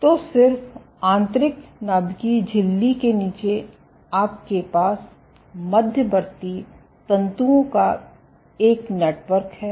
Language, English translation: Hindi, So, just underneath the inner nuclear membrane, you have a network of intermediate filaments